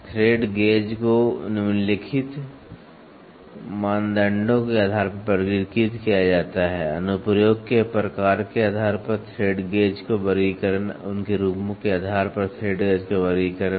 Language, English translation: Hindi, The thread gauge are classified on the basis of following criteria, classification of thread gauge based on type of application, classification of thread gauge based on their forms